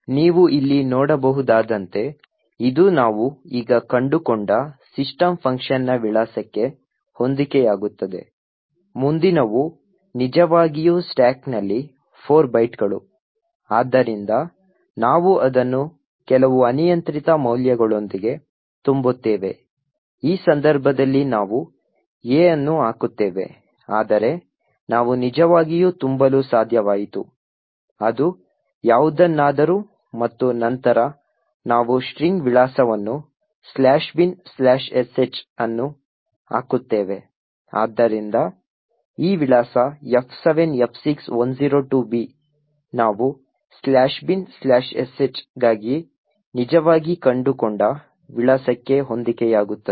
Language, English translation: Kannada, As you can see here this matches the address of system function which we have just found, next really were of 4 bytes in the stack, so we just fill it with some arbitrary values, in this case we put A but we could actually to fill it with anything and then we put the address of the string /bin/sh, so this address F7F6102B which matches the address that we have actually found for /bin/sh